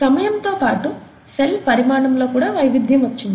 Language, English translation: Telugu, So there is variation with time in the cell size also